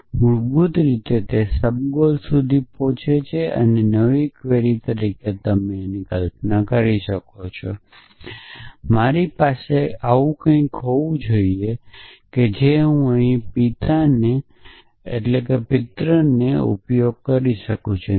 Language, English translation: Gujarati, So, it basically goes from goels to subgoel ask that as a new query and as you can imagine I should have something like I have a I could use parent here parent here